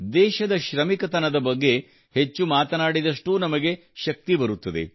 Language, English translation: Kannada, The more we talk about the industriousness of the country, the more energy we derive